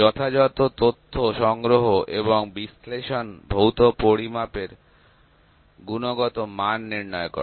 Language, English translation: Bengali, And appropriate data collection and analysis quantifies the quality of the physical measurements